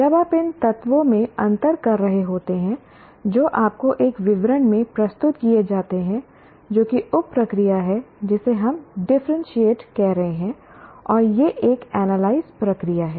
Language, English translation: Hindi, When you are differentiating among the elements that are presented in a description to you, that is the sub process calling, we call it differences